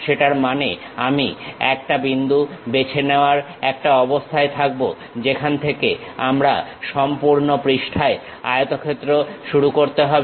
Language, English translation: Bengali, That means I will be in a position to pick one point from where I have to begin rectangle on entire page